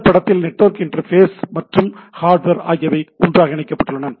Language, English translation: Tamil, In this case it has been network interface and hardware are clubbed together